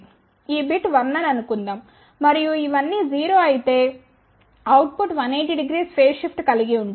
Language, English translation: Telugu, If suppose this bit is 1, and all these are 0 then output will have a 180 degree phase shift